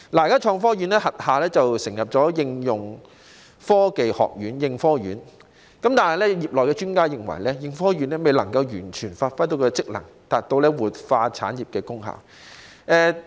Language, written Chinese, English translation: Cantonese, 現時成立了應用科技研究院，但業內專家認為，應科院未能完全發揮職能，達到活化產業的功效。, At present the Hong Kong Applied Science and Technology Research Institute ASTRI has been established but experts in the field opine that ASTRI has failed to give full play to its functions and achieve the effect of revitalization of industries